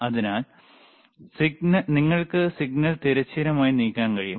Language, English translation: Malayalam, So, vertical position you can move the signal horizontal